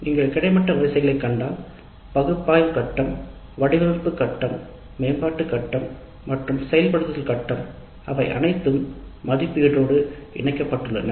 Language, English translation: Tamil, If you see the horizontal rows, analysis phase, design phase, development phase as well as implement phase, they are all linked to evaluate